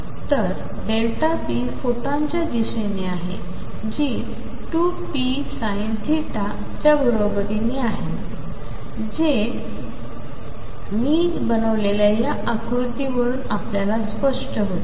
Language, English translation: Marathi, So, delta p is in the direction of photon, which is equal to 2 p electron sin of theta which you can see from this diagram that I have made